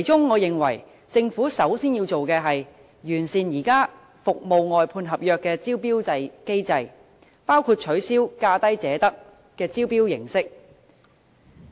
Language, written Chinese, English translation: Cantonese, 我認為政府首先要做的，是完善現有服務外判合約的招標機制，包括取消"價低者得"的招標形式。, I think the first step that the Government should take is to perfect the existing tender mechanism for outsourced service contracts by among others abolishing the approach of lowest bid wins for awarding contracts